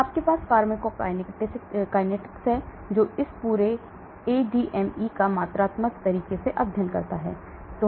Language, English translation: Hindi, So you have something called pharmacokinetics which studies this entire ADME in a quantitative manner